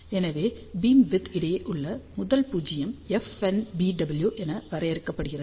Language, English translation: Tamil, So, beamwidth between the first null is defined as FNBW